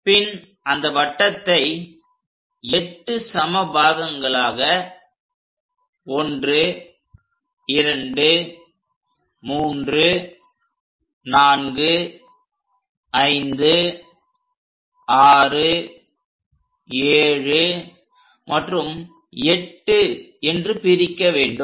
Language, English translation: Tamil, Then divide the circle into 8 equal parts, number them; 1, 2, 3, 4, 5, 6, 7 and 8